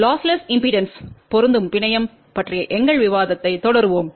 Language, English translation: Tamil, We will continue our discussion on lossless impedance matching network